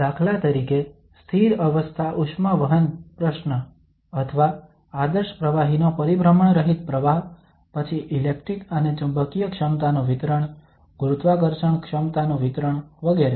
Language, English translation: Gujarati, For instance, steady state heat conduction problem or irrotational flow of an ideal fluid then the distribution of electric and magnetic potential, distribution of gravitational potential etcetera